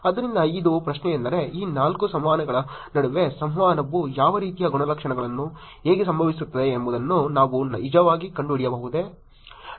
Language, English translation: Kannada, So that is the question which is, can we actually find out what kind of attributes, how the communication happens within these four sets of interactions